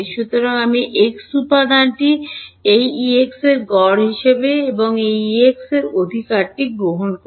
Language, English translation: Bengali, So, I will take the x component to be the average of this E x and this E x right